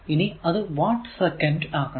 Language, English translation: Malayalam, So, basically it is watt hour